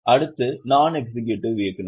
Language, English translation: Tamil, Next are non executive directors